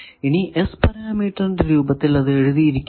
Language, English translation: Malayalam, So, now, we put it into the S parameter